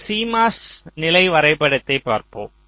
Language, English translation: Tamil, so let us look at this cmos level diagram